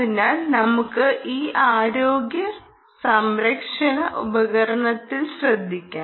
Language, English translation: Malayalam, so let us focus on this healthcare device